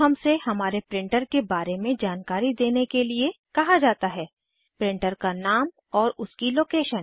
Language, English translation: Hindi, Now, we are prompted to describe our printer printer name and its location